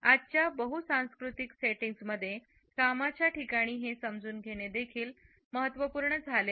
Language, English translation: Marathi, In today’s multicultural settings at the workplace this understanding has also become important